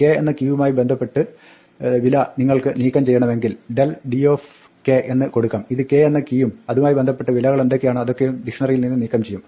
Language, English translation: Malayalam, If we want to remove the value associated with the key k then you can del d k and it will remove the key k and whatever values associated with it and removal from it